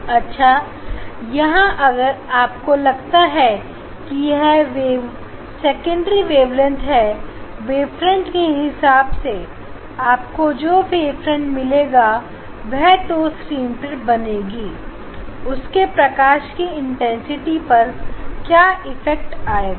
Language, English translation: Hindi, Now here, if you think that this the waves there will be this secondary wavelets and corresponding, wave front you will get that way they proceed on the screen this is the screen on the screen what will be the effect of intensity of the light